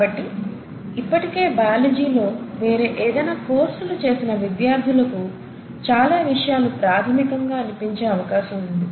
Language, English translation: Telugu, So for those students who have already taken some sort of a course in biology, a lot of things will sound very fundamental